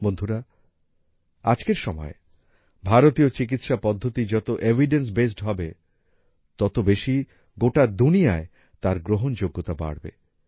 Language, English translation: Bengali, Friends, In today's era, the more evidencebased Indian medical systems are, the more their acceptance will increase in the whole world